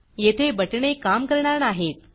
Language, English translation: Marathi, Here, the buttons dont work yet